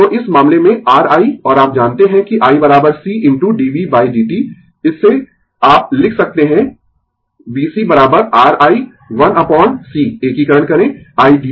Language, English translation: Hindi, So, in this case R i and you know that i is equal to c into dv by dt from that you can write v c is equal to R i 1 upon C integration i dt is equal to v right